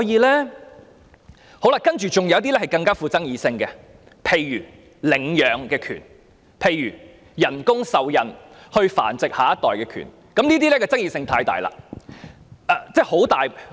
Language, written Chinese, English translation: Cantonese, 另外還有一些更富爭議性的問題，例如領養權、透過人工受孕繁殖下一代的權利，這些議題的爭議性實在很大。, There are also some other more controversial issues such as the rights to adopt children the rights to conceive a child by means of artificial insemination and such issues are indeed highly controversial